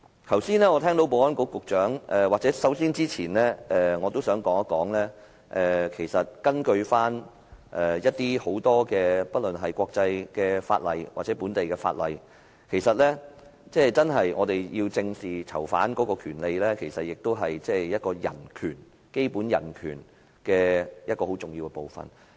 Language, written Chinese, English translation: Cantonese, 我剛才聽到保安局局長......首先，我想說一說根據國際法例或本地法例。我們要求正視囚犯權利，其實也是保障基本人權很重要的部分。, Just now I have heard that the Secretary for Security First of all according to international laws or local laws we have to face the issue of prisoners rights squarely because it is actually an integral part of the protection of human rights